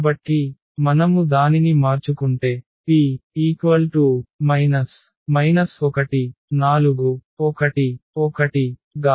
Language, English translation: Telugu, So, if we change it to P like 4 1 and minus 1 1